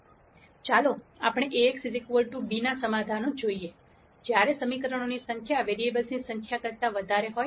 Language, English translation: Gujarati, Let us look at a solution to Ax equal to b when the number of equations are more than the number of variables